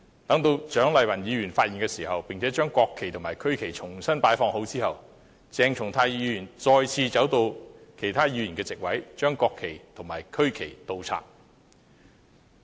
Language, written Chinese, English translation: Cantonese, 當蔣麗芸議員發現並把國旗和區旗重新擺放後，鄭松泰議員再次走到其他議員的座位，把國旗和區旗倒插。, After Dr CHIANG Lai - wan found out what happened and rearranged the national flags and the regional flags Dr CHENG once again went over to the seats of other Members and inverted the national flags and the regional flags